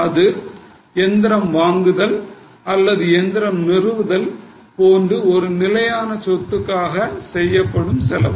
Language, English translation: Tamil, Now this is a cost incurred on fixed assets like purchase of machinery or like installation of machinery